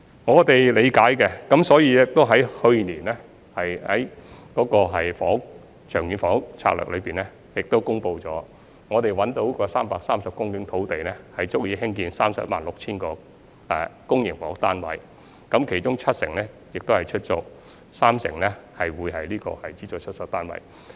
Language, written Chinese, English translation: Cantonese, 我們是理解的，所以在去年的《長遠房屋策略》中公布我們已找到330公頃土地，足以興建 316,000 個公營房屋單位，其中七成是出租公屋，三成是資助出售單位。, We understand their housing needs . And thus we announced last year in the Long Term Housing Strategy that we had identified 330 hectares of land enough for building 316 000 public housing flats of which 70 % will be public rental housing flats and 30 % will be SSFs